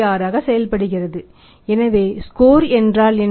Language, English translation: Tamil, 6 in the upper part so it means what the score means